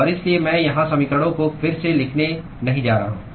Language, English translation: Hindi, And so, I am not going to rewrite the equations here